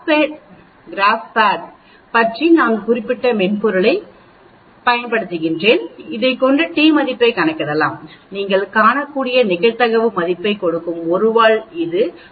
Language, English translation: Tamil, Now we can also use the particular software which I mentioned about the GraphPad software, which can also calculate the t value, given the probability value you can see for a 1 tail it is 1